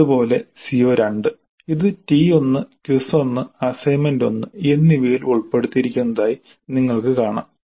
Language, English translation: Malayalam, Similarly CO2 you can see it is covered in T1, quiz 1 as well as assignment 1